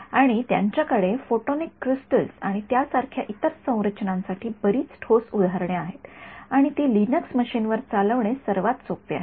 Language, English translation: Marathi, And, they have lots of other solid examples for photonic crystals and other structures like that and its easiest to run it on a Linux machine